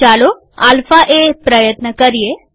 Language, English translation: Gujarati, Let us try alpha a